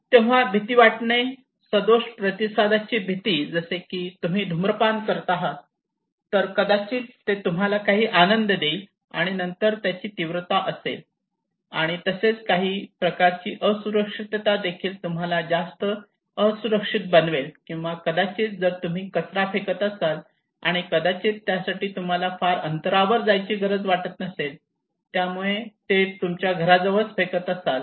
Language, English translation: Marathi, So fear appeal, the fears of maladaptive response okay like if you are smoking that may gives you some pleasure and then severity it can also have some kind of vulnerability making you more vulnerable, or maybe if you are throwing garbage, maybe you do not need to go to distance place you can just do it at your close to your house